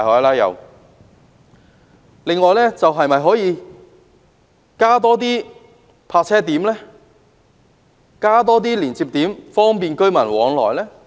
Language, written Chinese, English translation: Cantonese, 此外，政府可否增加泊車點及連接點，以方便市民往來？, In addition will the Government increase the number of parking spaces and connecting points to facilitate movements of the people?